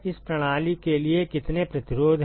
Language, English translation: Hindi, How many resistances are there for this system